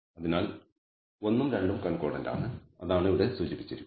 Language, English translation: Malayalam, So, 1 and 2 are concordant that is what is indicated here